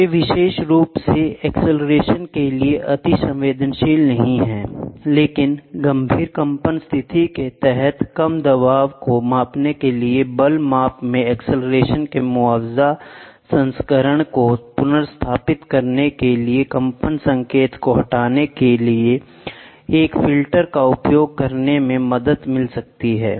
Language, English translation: Hindi, They are not particularly susceptible to acceleration, but for measuring low pressure under severe vibration condition it may help to use a low pass filter to remove the vibration signal to restore to an acceleration compensation version in force measurement